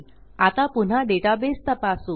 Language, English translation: Marathi, Now, lets check our database again